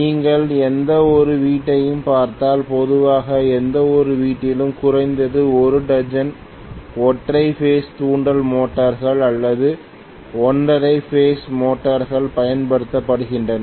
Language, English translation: Tamil, If you look at any household normally at least a dozen single phase induction motors or single phase motors are used in any household